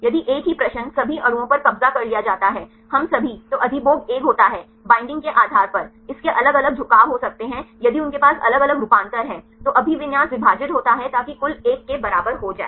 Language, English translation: Hindi, If the same question is occupied we all the molecules then the occupancy is 1, depending upon the bindings, it may have different orientations if they have different conformation then the occupancy is split so that the total will be equal to 1